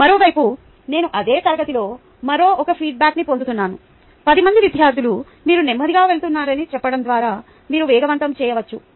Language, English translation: Telugu, all the other hand, i also get in the same class a feedback saying that about another ten students saying that you are going slow